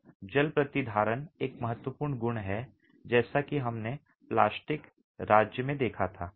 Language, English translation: Hindi, Now the water retentivity is an important property as we've seen earlier in the plastic state